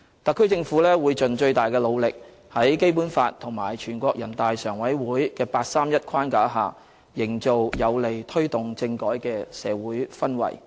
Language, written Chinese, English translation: Cantonese, 特區政府會盡最大努力，在《基本法》和全國人大常委會的八三一框架下，營造有利推動政改的社會氛圍。, The SAR Government will do its best to work towards creating a favourable social atmosphere for taking forward political reform under the Basic Law and within the framework of the 31 August Decision of the Standing Committee of the National Peoples Congress NPCSC